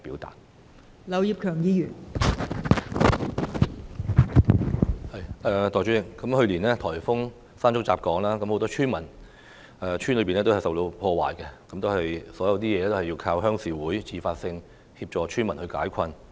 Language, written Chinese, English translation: Cantonese, 代理主席，去年颱風山竹吹襲香港，很多村屋受到破壞，一切都要靠鄉事會自發性協助村民解困。, Deputy President when typhoon Mangkhut battered Hong Kong last year many village houses were destroyed and RCs took the initiative to alleviate the plight of villagers